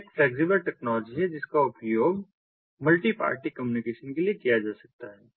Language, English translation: Hindi, it is a flexible ah, ah, ah technology which can be used for multi party communication